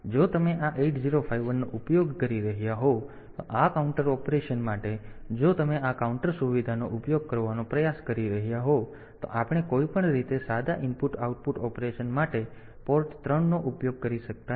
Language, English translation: Gujarati, So, if you are using this 8051, for this counter operation if you are trying to use this counter facility then we cannot use port 3 for simple input output operation anyway